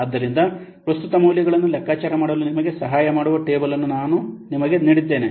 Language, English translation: Kannada, So, we have given you a table which will help you for computing the present values